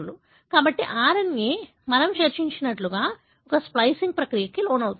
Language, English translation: Telugu, So, the RNA, as we discussed, undergo a splicing process